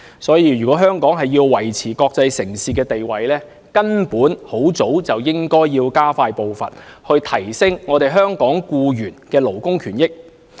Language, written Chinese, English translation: Cantonese, 所以，如果香港要維持國際城市的地位，根本早應加快步伐，提升香港僱員的勞工權益。, Therefore if Hong Kong is to maintain its status as an international city it should expedite the enhancement of labour rights and interests long ago